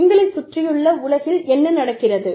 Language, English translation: Tamil, What is going on, in the world around you